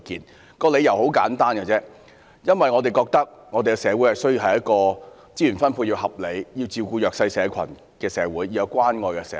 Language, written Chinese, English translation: Cantonese, 反對的理由很簡單，因為我們認為我們需要一個資源分配合理、照顧弱勢社群的社會，一個有關愛的社會。, The reason for our opposition is straightforward . We consider that we need a society in which resource allocation is fair and the disadvantaged are taken care of . We need a society with love and care